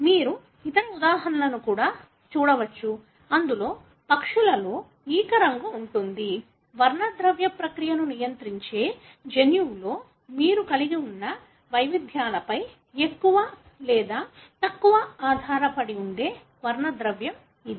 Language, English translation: Telugu, You can likewise look into the other example, wherein the feather colour in birds; these are the pigments that you see which more or less depends on the variations that you have in the gene that control the pigmentation process